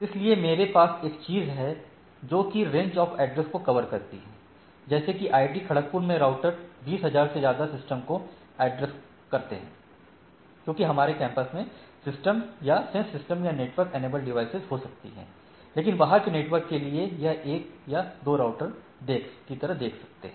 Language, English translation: Hindi, So, I have a things which covers a range of addresses, like out IIT Kharagpur router takes care of the rest of the 20,000 odd systems within the campus right, systems in the sense systems, devices etcetera network enabled devices within each domain right but, for the external world it looks at only 1 router or maybe 1 or 2 routers which are looking at the things right